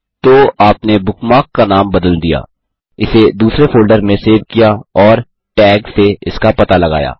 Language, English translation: Hindi, So, we have renamed the bookmark, saved it in another folder and located it using a tag